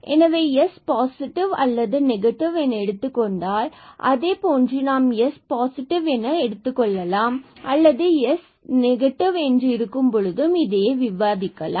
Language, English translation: Tamil, So, s may be positive, s may be negative, let us just assume that s is positive the same thing we can argue when s is negative